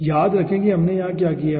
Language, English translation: Hindi, remember what we have done over here